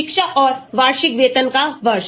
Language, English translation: Hindi, so year of education and annual salary